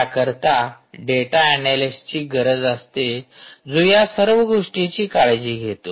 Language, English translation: Marathi, so you need data analyst to take care of all the data that is being generated